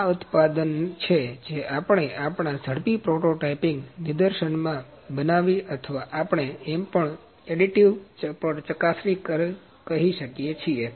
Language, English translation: Gujarati, So, this is the product that we have manufactured in our demonstration in rapid prototyping or we also call it additive inspection here